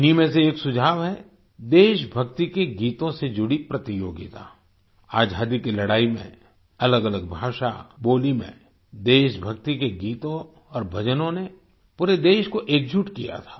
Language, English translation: Hindi, During the freedom struggle patriotic songs and devotional songs in different languages, dialects had united the entire country